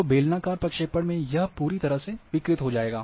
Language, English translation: Hindi, So, in cylindrical projection it is completely distorted